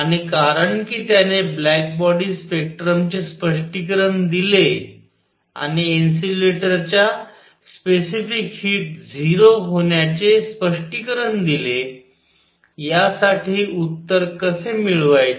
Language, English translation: Marathi, And because of that explained the black body spectrum and also explained the going to 0 of the specific heat of solids, how to get an answer for this